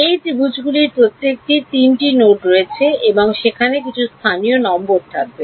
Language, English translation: Bengali, Each of these triangles has three nodes and there will be some local numbers